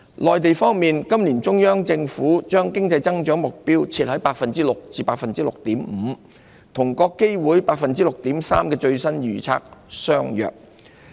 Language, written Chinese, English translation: Cantonese, 內地方面，今年中央政府將經濟增長目標設於 6% 至 6.5%， 與國基會 6.3% 的最新預測相若。, Regarding the Mainland the Central Government has set an economic growth target of 6 % to 6.5 % for this year about the same as IMFs latest estimate of 6.3 %